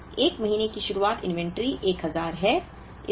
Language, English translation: Hindi, So, 1st month beginning inventory is 1000